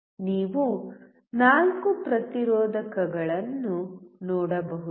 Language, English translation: Kannada, You can see four resistors right